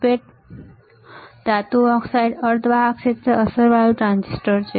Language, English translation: Gujarati, MOSFET's are Metal Oxide Semiconductor Field Effect Transistors